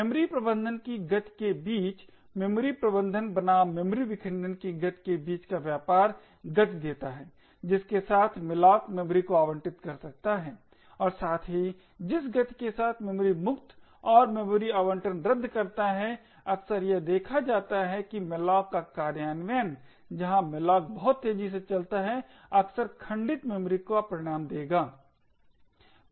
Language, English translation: Hindi, Trade off between the speed of memory management versus the fragmented memory by speed of memory management imply the speed with which malloc can allocate memory as well as the speed with which free and deallocate memory quite often it is seen that implementations of malloc where malloc runs extremely fast would often result in fragmented memory